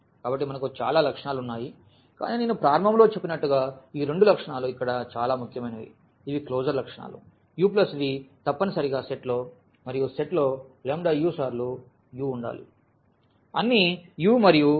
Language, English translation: Telugu, So, we have so many properties, but as I said at the beginning that these two properties are most important here; these are the closure properties that u plus v must be there in the set and lambda times u must be there in the set, for all u and for all lambda from R